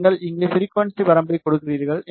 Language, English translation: Tamil, Then you give here the frequency range